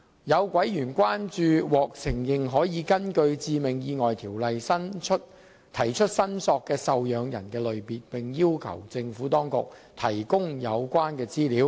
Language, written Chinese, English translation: Cantonese, 有委員關注獲承認可根據《致命意外條例》提出申索的受養人類別，並要求政府當局提供有關資料。, A member raised concerns over the classes of recognized dependants who may claim for the bereavement sum under the Fatal Accidents Ordinance and sought relevant information in this regard